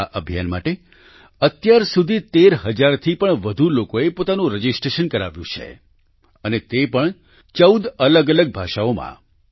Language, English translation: Gujarati, For this more than 13 thousand people have registered till now and that too in 14 different languages